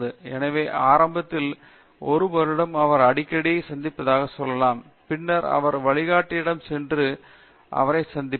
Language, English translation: Tamil, So, let say initially in 1 year he may be meeting very frequently and then for everything he may just go to the guide and so on meet him